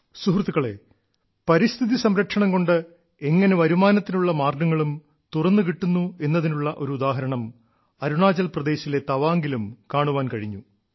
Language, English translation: Malayalam, an example of how protection of environment can open avenues of income was seen in Tawang in Arunachal Pradesh too